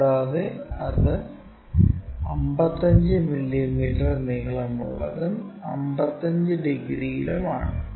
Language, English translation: Malayalam, And, that is 55 degrees with a length of 55 mm